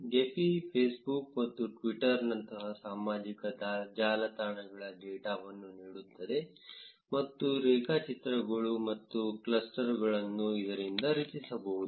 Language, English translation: Kannada, Gephi can also input data of social networks like Facebook and Twitter and generate graphs and clusters